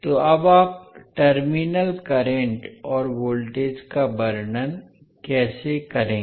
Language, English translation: Hindi, So now, how you will describe the terminal currents and voltages